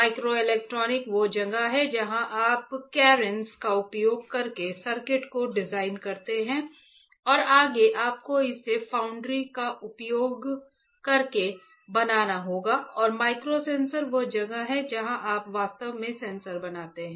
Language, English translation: Hindi, Microelectronics is where you design the circuits using carens right and further you have to fabricate it using the foundry and microsensors is where you actually fabricate sensors